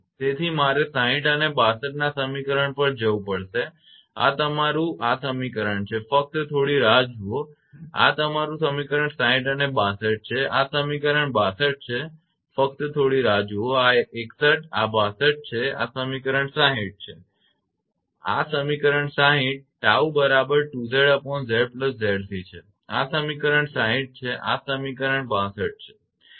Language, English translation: Gujarati, This one, this is your equation just hold on this is your equation your 60 and 62 this is equation 62 and just hold on 61, this is 61, this is 61 62, this is equation 60, this is equation 60 tau is equal to 2 Z upon Z plus Z c this is equation 60 and this is equation 62 right